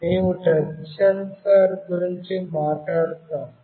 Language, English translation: Telugu, We will talk about the touch sensor